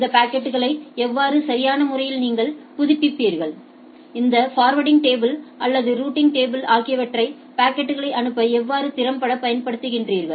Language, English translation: Tamil, That how these packets how do you update this appropriately, how do you applied this efficiently this forwarding tables or the routing tables so that packets are forwarded